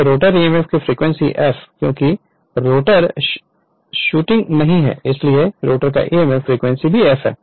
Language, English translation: Hindi, So, the frequency of the rotor emf of course, F because rotor is not rotating so frequency of the rotor emf is also F right